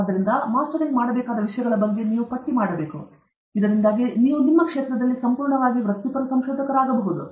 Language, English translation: Kannada, So, you have to list out what are the things which are to be mastered, so that you can become a fully professional researcher in your field